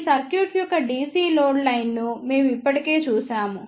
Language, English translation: Telugu, We have already seen the DC load line of this circuit